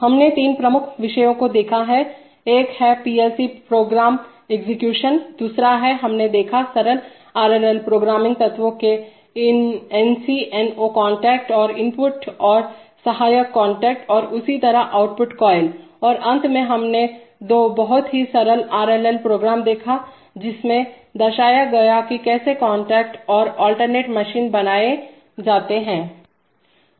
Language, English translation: Hindi, We have seen three major topics, one is the, one is the PLC program execution, the second is, we have seen the simple RLL programming elements of NC and NO contacts and input and auxiliary contacts as well as output coils and finally we have seen two simple RLL programs which have shown that how to create interlocks and how to create alternating motion